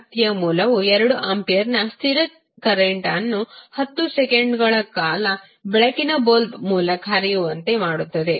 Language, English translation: Kannada, An energy source forces a constant current of 2 ampere for 10 seconds to flow through a light bulb